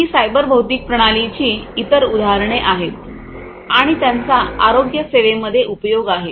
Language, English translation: Marathi, So, these would be examples of cyber physical systems for use in the manufacturing industry